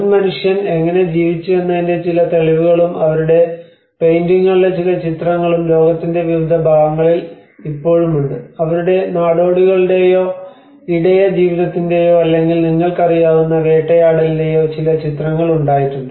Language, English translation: Malayalam, And different parts of the world still carry some evidences that how the earlier man have lived and some images of their paintings, there have been some images of their nomadic or pastoral life or hunting life you know